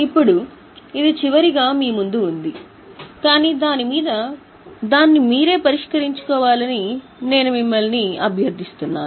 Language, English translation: Telugu, Now, this is in front of you in final shot, but I request you to properly solve it yourself